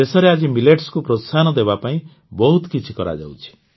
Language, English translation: Odia, Today a lot is being done to promote Millets in the country